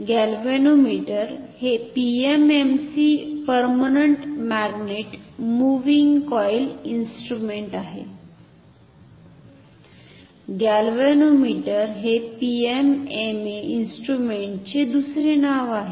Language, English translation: Marathi, A galvanometer is nothing, but a PMMC instrument permanent magnet moving coil instrument galvanometer is another name of PMMA instrument